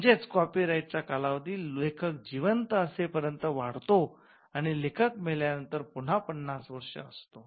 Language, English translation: Marathi, so, the copyright term of a work extended throughout the life of the author and for an additional 50 years